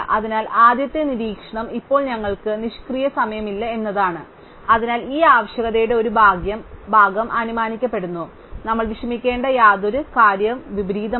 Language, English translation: Malayalam, So, the first observation is that now we have no idle time, so one part of this requirement is assumed, so the only thing that we have to worry about is inversions